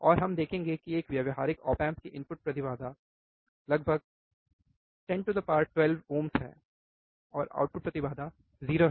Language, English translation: Hindi, And we will see the input impedance of an practical op amp is around 10 to the power 12 ohms 0 output impedance